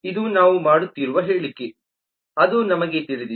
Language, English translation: Kannada, this is a statement that we are making